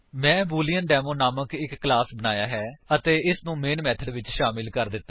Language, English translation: Punjabi, I have created a class BooleanDemo and added the Main method